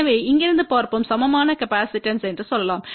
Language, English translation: Tamil, So, let us see from here we can say the equivalent capacitance